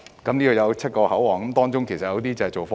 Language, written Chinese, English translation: Cantonese, 這裏設有7個口岸，當中有些是用作貨運。, There are seven control points with some for cargo clearance